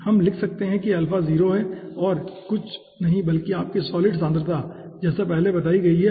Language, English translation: Hindi, so we can write down: alpha is 0 is nothing but your solid concentration previously explained